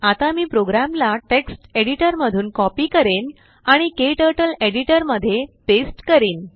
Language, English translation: Marathi, I will copy the program from text editor and paste it into KTurtles Editor